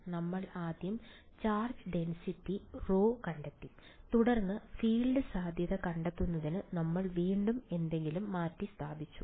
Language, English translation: Malayalam, We first found the charge density rho and then we substituted back into something to find the field the potential